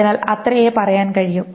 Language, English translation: Malayalam, So that's the way to do it